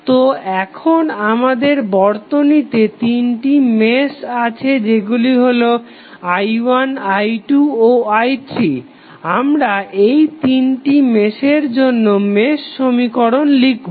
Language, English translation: Bengali, So, again we have three meshes created in the circuit that is i 1, i 2 and i 3, we will write the mesh equation for all three meshes